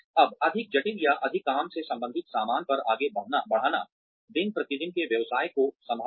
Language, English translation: Hindi, Now, moving on to more complicated, or more work related stuff, handling day to day business